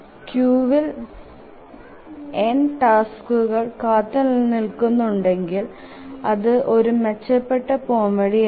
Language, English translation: Malayalam, If there are n tasks waiting in the queue, not a very efficient solution